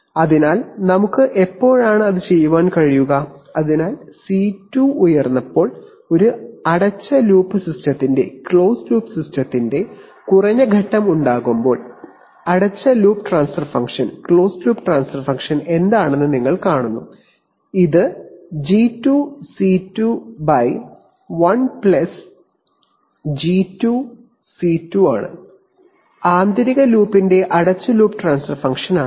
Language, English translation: Malayalam, So when can we do that, so when does a closed loop system have low phase when C2 is high, you see closed loop transfer function is what, it is G2C2 by 1+G2C2, is the closed loop transfer function of the inner loop